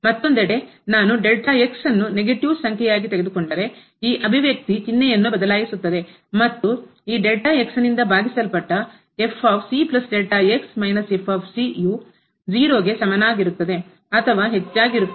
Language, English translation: Kannada, On the other hand if I take as a negative number then this expression will change the sign and this divided by will become greater than equal to 0